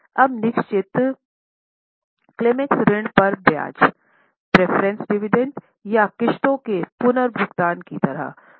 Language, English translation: Hindi, Now the fixed claims are like interest on loan or preference dividend or the repayment of installments